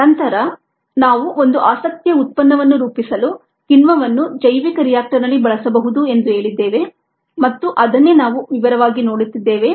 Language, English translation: Kannada, and then we also said there is an enzyme can be used in a bioreactor to form a product of interest, and that is what we are looking at in detail